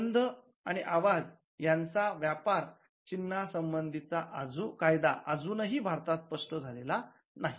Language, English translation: Marathi, So, we the law with regard to smell sound and trademarks is still not crystallized in India